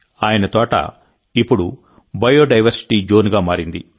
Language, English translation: Telugu, His garden has now become a Biodiversity Zone